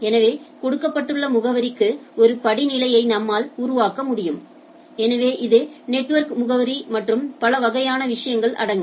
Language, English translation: Tamil, So, I can make a hierarchy that given address so this is the network address and type of things right